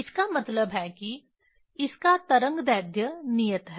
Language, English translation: Hindi, That means, it has fixed wavelength